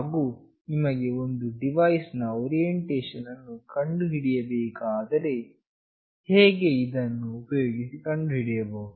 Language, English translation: Kannada, And if you want to find out the orientation of a device how we can find it out using this